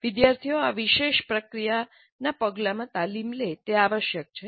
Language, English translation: Gujarati, The students must be trained in this particular process step